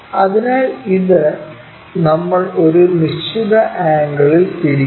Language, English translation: Malayalam, So, this one we rotate it with certain angle